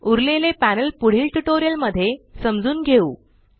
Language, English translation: Marathi, The rest of the panels shall be covered in the next tutorial